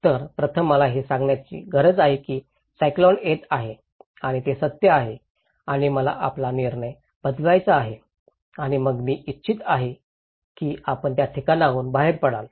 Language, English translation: Marathi, So, first I need to tell you that cyclone is coming and that is true and I want to change your decision and then I want you to evacuate from that place okay